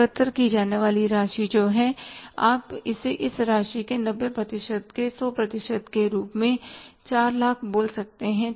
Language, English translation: Hindi, The amount to be collected is you can call it as the 100% of 90% of this amount, 4 lakhs